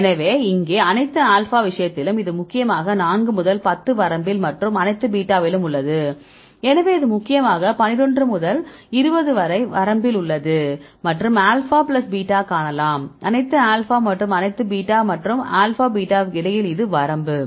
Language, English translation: Tamil, So, here in the case of the all alpha, this is mainly here in the 4 to 10 range and the all beta, so, it is mainly in the 11 to 20 range and the alpha plus beta right you can see here right in this between the all alpha and all beta and alpha beta right; this is the range